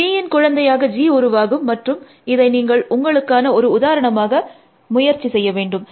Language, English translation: Tamil, G would be generated as the child of B, and you should work this out as an example yourself